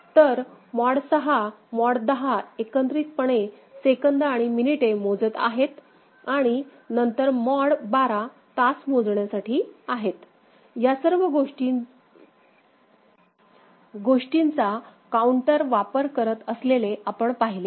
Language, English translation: Marathi, So, mod 6, mod 10 together giving seconds and also to minutes and then mod 12 for the hour count, all those things we have seen before as use of counter